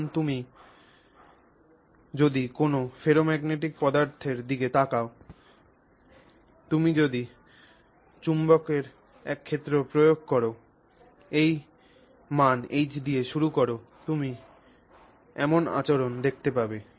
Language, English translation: Bengali, So now if you actually look at a ferromagnetic material, then you see this behavior when you apply a magnetic field you start with this value H and you start applying the magnetic field